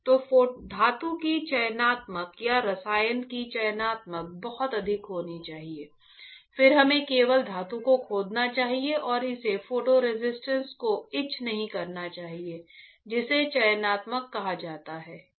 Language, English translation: Hindi, So, the selectivity of the metal or selectivity of the chemical should be extremely high, then we should only etch the metal and it should not etch the photo resistance that is called selectivity alright